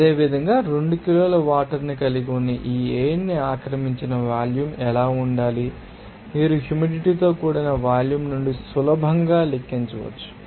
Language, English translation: Telugu, Similarly, what should be the volume occupied by that air that contains 2 kg of water, you can easily calculate it from you know humid volume